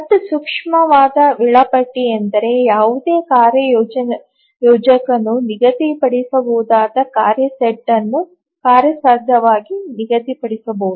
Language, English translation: Kannada, And an optimal scheduler is one which can feasibly schedule a task set which any other scheduler can schedule